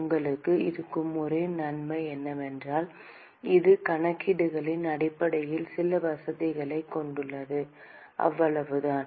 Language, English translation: Tamil, The only advantage you will have is that it just has some convenience in terms of calculations, that is all